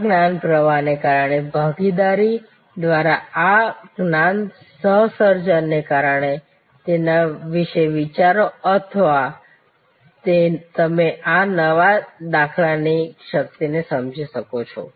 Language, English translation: Gujarati, Because of this knowledge flow, because of this knowledge co creation through participation, think about it and you will understand the power of this new paradigm